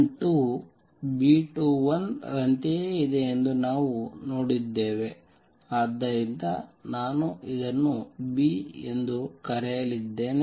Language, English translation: Kannada, And we also saw that B 12 was same as B 21 so I am going to call this B